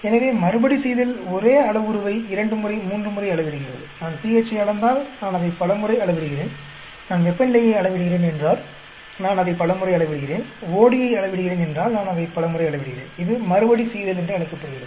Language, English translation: Tamil, So, Repeatability is measuring the same parameter twice, thrice; like, if I measuring pH, I measure it many times, if I am measuring temperature I measure it many times, if I am measuring OD I measure it many times that is called the Repeatability